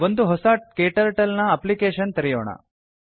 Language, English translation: Kannada, Lets open a new KTurtle Application